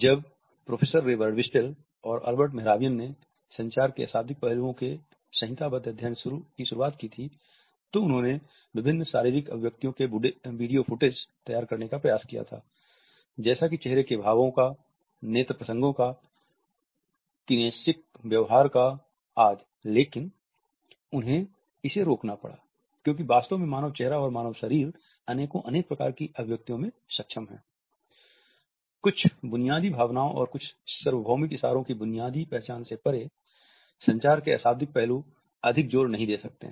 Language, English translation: Hindi, When Professor Ray Birdwhistell and Albert Mehrabian, had started the codified studies of nonverbal aspects of communication they had tried to prepare video footage of different physical expressions, of facial expressions, of eye contexts, of kinesic behavior etcetera, but they have to stop it because human face and human body is capable of literally in numerous number of expressions